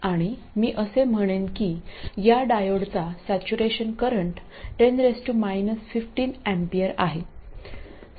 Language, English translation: Marathi, I'll say that this diode has a saturation current of 10 to the minus 15 ampers